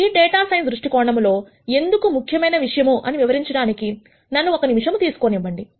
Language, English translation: Telugu, Now, let me take a minute to explain why this is important from a data science viewpoint